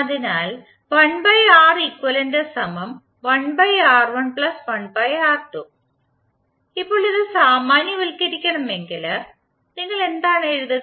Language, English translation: Malayalam, Now if you want to generalise it what you will what you can write